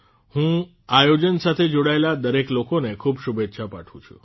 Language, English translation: Gujarati, I congratulate all the people associated with its organization